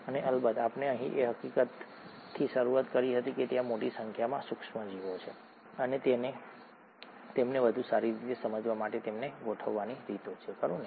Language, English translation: Gujarati, And of course we started out with the fact that there are a large number of microorganisms and there are ways to organise them to make better sense of them, right